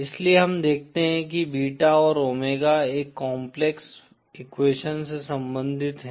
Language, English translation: Hindi, So we see that beta and omega are related by a complex equation